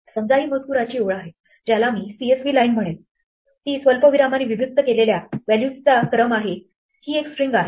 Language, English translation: Marathi, Suppose this is our line of text which I will call CSV line it is a sequence of values separated by commas notice it is a string